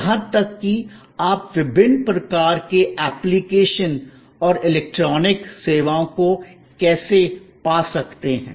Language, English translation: Hindi, Even, that you can find today to various kinds of application and electronic services